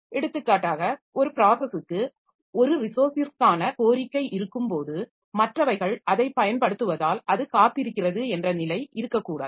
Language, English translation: Tamil, For example, it should not be the case that one process has requested for a resource and it is just waiting because others are using it